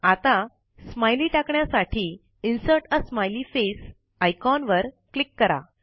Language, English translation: Marathi, Lets insert a smiley now.Click on the Insert a Smiley face icon